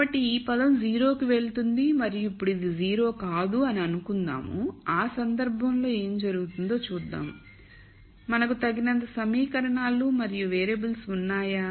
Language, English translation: Telugu, So, this term goes to 0 and now let us assume actually this is nonzero, this is nonzero, let us see what happens to that case do we have enough equations and variables